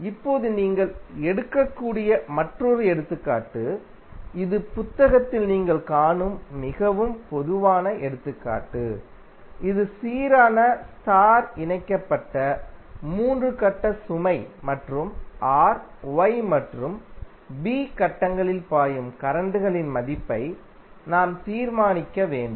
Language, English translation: Tamil, Now, another example which you can take and this is very common example you will see in book, this is balanced star connected 3 phase load and we need to determine the value of currents flowing through R, Y and B phase